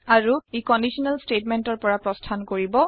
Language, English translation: Assamese, And it will exit the conditional statement